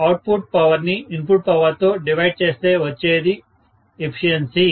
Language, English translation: Telugu, So, I have to say output power divided by input power, this is what is efficiency, right